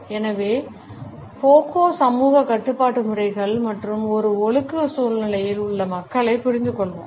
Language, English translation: Tamil, So, Foucault used to understand the systems of social control and people in a disciplinary situation